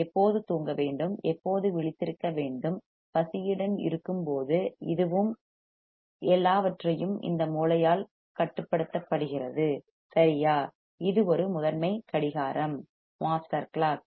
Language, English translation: Tamil, It tells us when to sleep, when to be awake, when we are hungry, this and that, everything is controlled by this brain right; it is a master clock